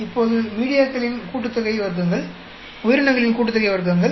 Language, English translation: Tamil, So we get media sum of squares, we get organism sum of squares